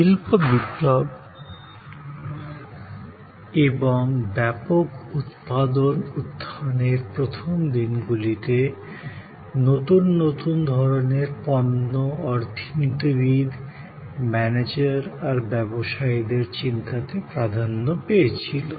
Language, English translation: Bengali, In the hay days, in the early days of industrial revolution and emergence of mass manufacturing, goods newer and newer types of products dominated the thinking of economists, managers, business people